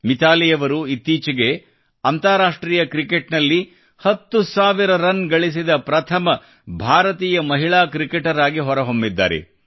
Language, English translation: Kannada, Recently MitaaliRaaj ji has become the first Indian woman cricketer to have made ten thousand runs